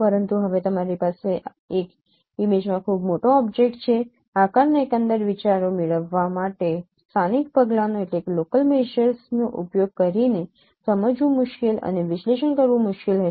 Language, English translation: Gujarati, Now using local measures to get the overall ideas of the shape would be difficult to comprehend, difficult to analyze